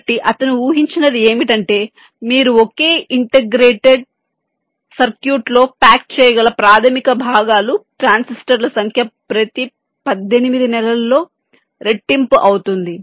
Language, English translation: Telugu, so what you predicted was that, ah, the number of transistors, of the basic components that you can pack inside a single integrated circuit, would be doubling every eighteen months or so